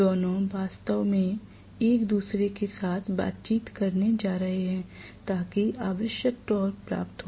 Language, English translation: Hindi, Those two are going to actually interact with each other to get whatever is the torque that is required